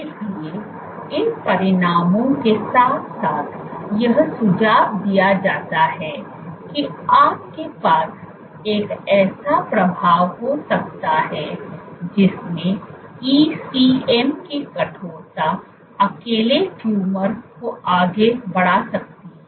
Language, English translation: Hindi, So, taken together what these results suggest is that you can have an effect in which ECM stiffness alone can drive tumor progression